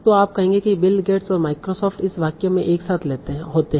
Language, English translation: Hindi, So you will say, okay, Bill Gates and Microsoft occur together in this sentence